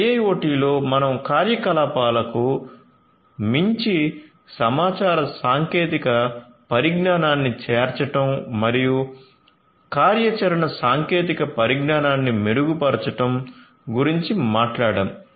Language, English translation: Telugu, In IIoT we are talking about going beyond the operations, incorporation or inclusion of information technology and improving upon the operational technologies